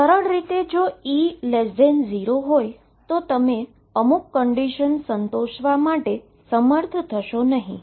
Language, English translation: Gujarati, In a simple way if E is less than 0 you would not be able to satisfy certain conditions